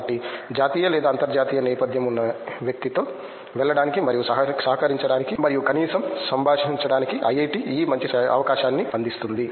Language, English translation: Telugu, So, IIT provides this good opportunity of going and collaborating and at least interacting with people from national or from international background